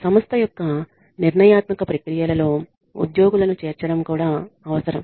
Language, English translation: Telugu, It also requires that employees be included in the decision making processes of the organization